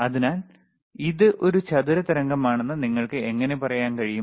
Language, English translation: Malayalam, So, how you can say it is a square wave or not